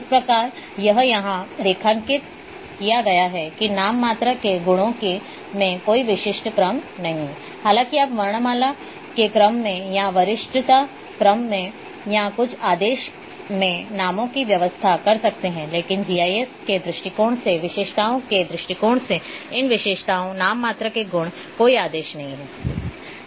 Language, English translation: Hindi, So, this is underlined part here is that in nominal attributes no specific order though, you may arrange say names in alphabetically order or in seniority order or some order, but from attributes points of view from GIS point of view these attributes nominal attributes do not have any orders